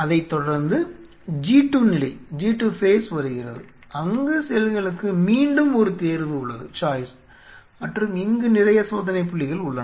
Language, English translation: Tamil, And followed by a G 2 phase where the again have a choice again have a choice and there are lot of checkpoints out here